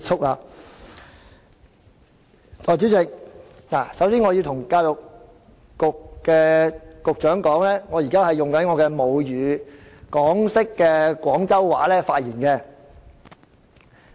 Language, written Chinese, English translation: Cantonese, 代理主席，首先我要告訴教育局局長，我現在以我的母語港式廣州話發言。, Before all else Deputy Chairman I have to tell the Secretary for Education that I am now speaking in my mother tongue Hong Kong - style Cantonese